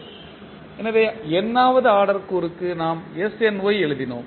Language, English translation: Tamil, So, for nth order component we written snY